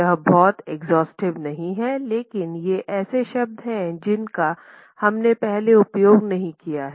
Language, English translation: Hindi, With that it is not exhaustive but these are words that we have not used earlier